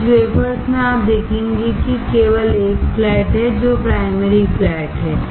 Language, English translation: Hindi, In some wafers you will see there is only one flat, which is primary flat